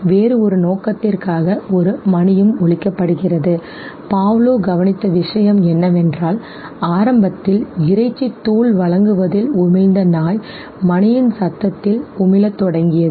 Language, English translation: Tamil, Happened, in that very lab a bell was also being rung for some other purpose and what Pavlov observed was that initially the dog which was salivating on the presentation of the meat powder started salivating on the sound of the bell okay